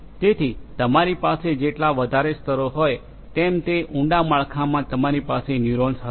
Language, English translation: Gujarati, So, the more number of layers you have, the deeper structure you are going to have of the neural neurons